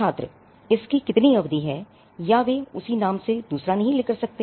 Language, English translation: Hindi, Student: what is the durations, or they cannot take another down that same name